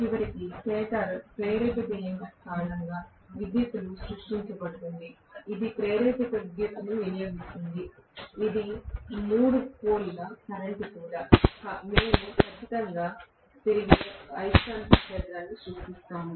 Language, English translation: Telugu, And electrically created because of the stator induced EMF eventually, which will cost induced current that is also a three phase current that we definitely create a revolving magnetic field